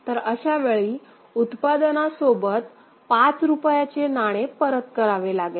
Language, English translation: Marathi, So, in that is in that case other than the product rupees 5 need to be returned